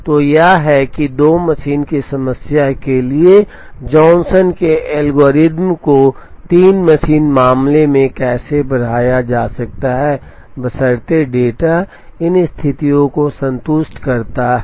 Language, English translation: Hindi, So, this is how the Johnson’s algorithm for the 2 machine problem can be extended to 3 machine case, provided the data satisfies these conditions